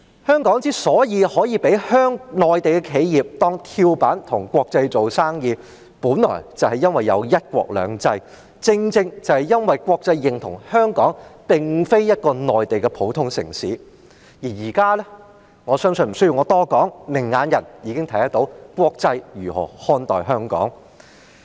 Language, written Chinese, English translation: Cantonese, 香港所以能夠被內地企業當跳板，跟國際做生意，本來就是因為有"一國兩制"，國際認同香港並非一個普通的內地城市，但現在——我相信無須我多說——明眼人已看得到國際如何看待香港。, Is this something really achievable? . The very reason why Hong Kong can be used as a springboard by Mainland enterprises to do business with the international community is the presence of one country two systems which made the international community recognize Hong Kong as no ordinary Mainland city . But now―I believe it is not necessary for me to explain further―anyone with discerning eyes has already noticed how the international community thinks of Hong Kong